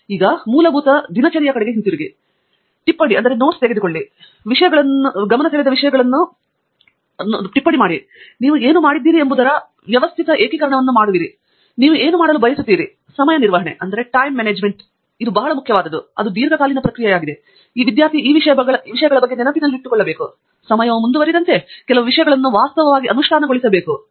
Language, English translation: Kannada, And the basic, again going back to some of the routine, note taking, noting down things, making systematic consolidation of what you have done, what you want to do, time management; there is lot of this that is actually very important because again it is a long term process, and a student must keep on reminding about many of these things, and actually implementing some of these things, as the time goes on